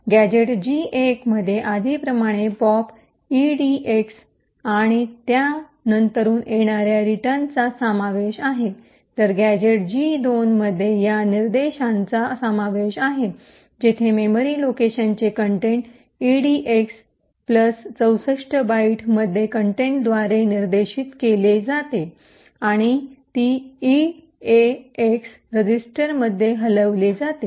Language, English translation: Marathi, The gadget G1 comprises as before of the pop edx followed by return while the gadget G2 comprises of this instruction where the contents of the memory location pointed to by the contents of edx plus 64 bytes is moved into the eax register